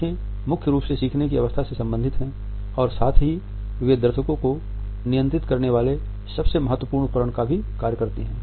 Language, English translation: Hindi, They are related with the learning curve primarily and at the same time they are the most significant tool we have of controlling the audience